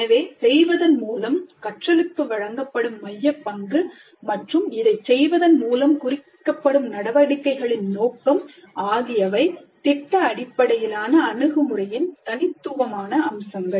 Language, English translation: Tamil, So the central role accorded to learning by doing and the scope of activities implied by doing, these are the distinguishing features of product based approach